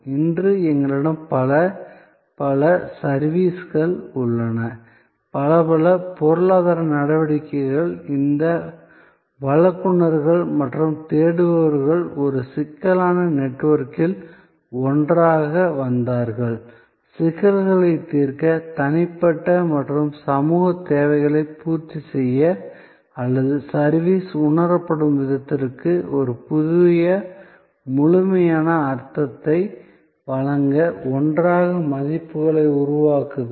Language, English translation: Tamil, And we have many, many services today, many, many economic activities were this providers and seekers coming together in a complex network, creating values together to solve problems, to meet individual and social needs or giving a new complete meaning to the way service is perceived